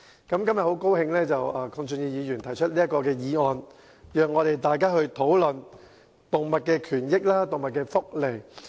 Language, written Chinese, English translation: Cantonese, 今天，我很高興鄺俊宇議員提出這項議案，讓大家討論動物權益及福利。, Today I am very glad that Mr KWONG Chun - yu has moved this motion which allows us to discuss animal rights and welfare